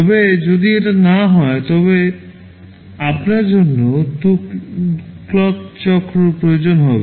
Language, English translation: Bengali, But if it is not so, you will be requiring 2 clock cycles